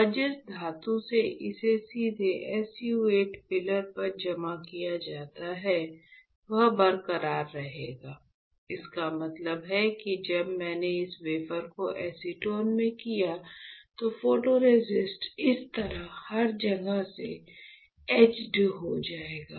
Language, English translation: Hindi, And the metal where it is directly deposited on SU 8 pillar will remain intact; that means, that when I did this wafer in acetone what will happen, my photoresist will get etched from everywhere like this